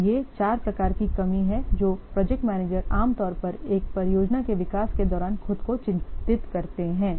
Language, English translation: Hindi, So, these are the what four types of shortfalls that project manager normally concerned with during development of a project